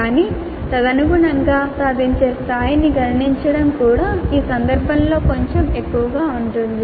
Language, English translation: Telugu, But correspondingly computing the level of attainment would also be a little bit more involved in this case